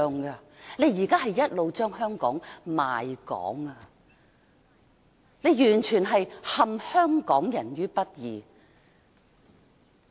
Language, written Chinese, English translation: Cantonese, 他現在一直在賣港，完全是陷香港人於不義。, He is betraying Hong Kong and thoroughly imperilling Hong Kong people all the time